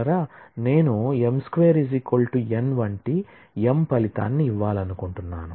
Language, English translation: Telugu, I want to result m such that m square equals n